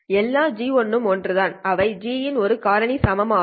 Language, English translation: Tamil, All GIs are same and they are equal to just a factor of G